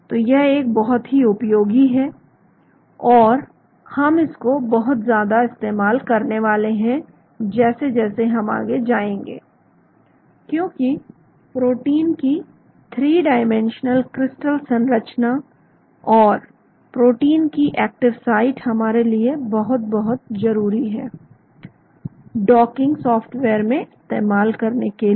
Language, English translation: Hindi, so it is a very useful and we are going to use that quite a lot as we go along, because the 3 dimensional crystal structure of the protein and the active site of the protein are very, very essential for us to use in docking software